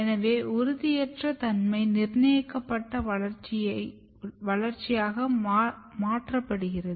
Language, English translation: Tamil, So, the indeterminacy get converted into determinate development